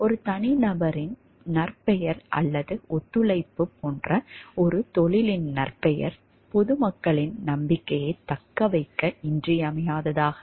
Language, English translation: Tamil, The reputation of a profession like the reputation of an individual professional or cooperation is essential in sustaining the trust of public